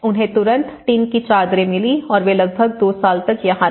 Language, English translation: Hindi, They got the tin sheets immediately and they have lived here for about two years